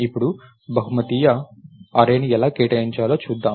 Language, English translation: Telugu, Now, lets see how to allocate a multidimensional array